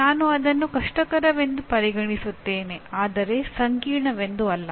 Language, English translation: Kannada, I may or I would consider it is difficult but not complex